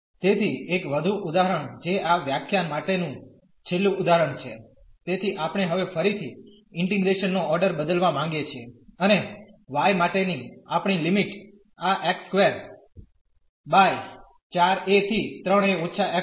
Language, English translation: Gujarati, So, one more example that is the last example for this lecture; so, we have now again we want to change the order of integration and our limit for the y goes from x square by this 4 a to 3 a minus x